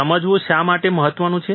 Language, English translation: Gujarati, Why important to understand